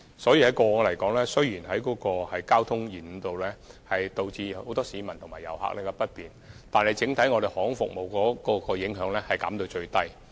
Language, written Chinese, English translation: Cantonese, 所以，雖然過往也曾出現交通延誤，導致很多市民及遊客感到不便，但整體而言，航空服務受到的影響都能盡量減到最低。, Despite some traffic delays in the past which have caused inconvenience to the public and the tourists overall speaking the impact on aviation services has been minimized as far as possible